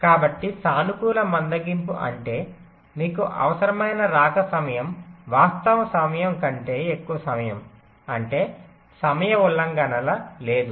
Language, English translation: Telugu, so a positive slack means your required arrival time is greater than the actual time, actual arrival, which means the timing violation not there